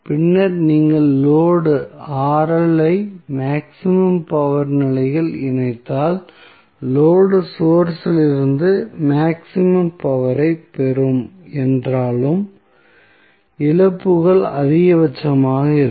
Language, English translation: Tamil, And then if you connect the load Rl at maximum power condition, although the load will receive maximum power from the source, but losses will also be maximum